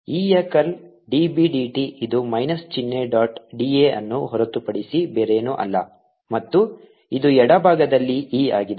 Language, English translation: Kannada, curl of e dot d a, curl of e is nothing but d b, d t it with a minus sign, dot d a, and this is e